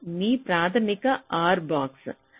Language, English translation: Telugu, this is your basic r box